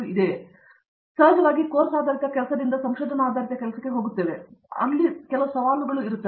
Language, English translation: Kannada, I mean of course, we are moving from a course based work to a research based work, that itself provides some challenges